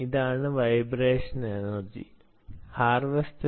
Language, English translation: Malayalam, this is the vibration energy harvester